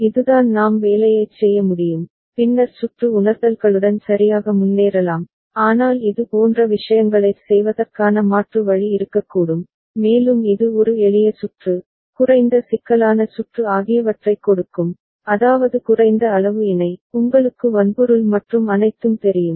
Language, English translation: Tamil, This is the way we can do the assignment and then move ahead with the circuit realizations right, but there could be alternate way of doing things also like and which one will give a simpler circuit, less complex circuit, in the sense that less amount of combinatorial, you know hardware and all